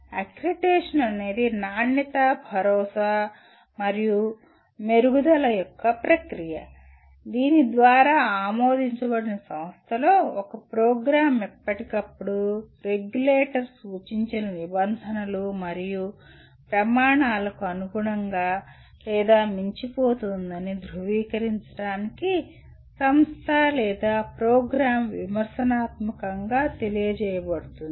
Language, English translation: Telugu, Accreditation is a process of quality assurance and improvement whereby a program in an approved institution is critically apprised to verify that the institution or the program continues to meet and or exceed the norms and standards prescribed by regulator from time to time